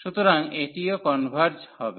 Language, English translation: Bengali, So, this will also converge